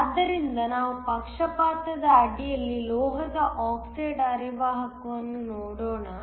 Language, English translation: Kannada, So, let us look at the metal oxide semiconductor under bias